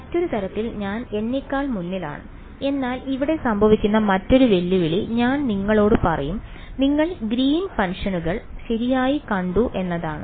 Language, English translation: Malayalam, Another sort of I am getting ahead of myself, but I will tell you one other challenge that will happen over here is that your we have seen Green’s functions right